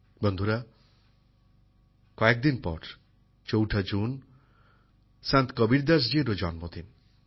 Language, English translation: Bengali, Friends, a few days later, on the 4th of June, is also the birth anniversary of Sant Kabirdas ji